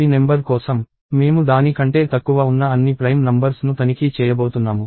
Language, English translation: Telugu, If some… For a number p, we are going to check against all the prime numbers that are less than it